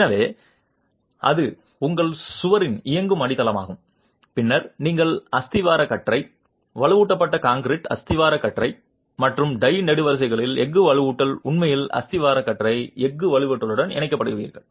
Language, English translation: Tamil, So, if you, that is the running foundation of your wall and then you would have the plinth beam, the reinforced concrete plinth beam and steel reinforcement of the tie columns actually being connected to the steel reinforcement of the plinth beam itself